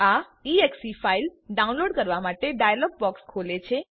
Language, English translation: Gujarati, This will open a dialog to download the exe file